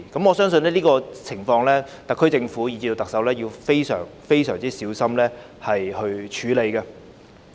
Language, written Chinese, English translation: Cantonese, 我相信對於這種情況，特區政府和特首要非常小心處理。, I consider it necessary for the SAR Government and the Chief Executive to handle the situation with great caution